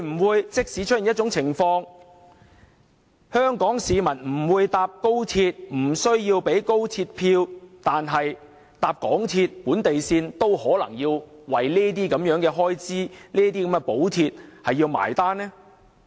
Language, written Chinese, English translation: Cantonese, 會否出現一種情況，就是即使香港市民不乘搭高鐵，不購買高鐵車票，但只乘搭港鐵本地線也要分擔這些開支和補貼？, Will this lead to a scenario where Hong Kong people still have to share the relevant costs and subsidies even if they have not travelled by XRL have not bought XRL train tickets and only take local MTR lines?